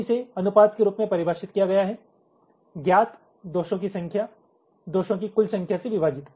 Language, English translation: Hindi, so it is defined as the ratio number of detected faults divide by the total number of faults